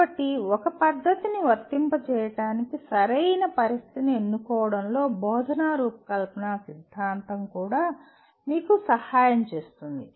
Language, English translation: Telugu, So an instructional design theory will also kind of help you in choosing the right kind of situation for applying a method